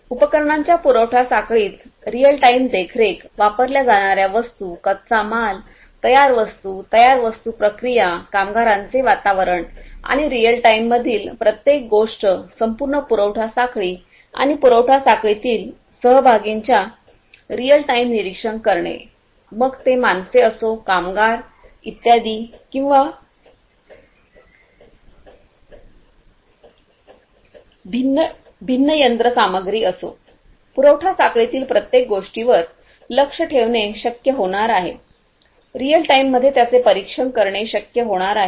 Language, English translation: Marathi, Real time monitoring in the supply chain of equipment, materials being used, raw materials, finished products, finished goods processes, workers environment, everything in real time, monitoring in real time of the entire supply chain and the participants in the supply chain; be it the humans, the workers the laborers and so on or be it the different machinery, everything is going to be possible to be monitored in everything in the supply chain is going to be possible to be monitored in real time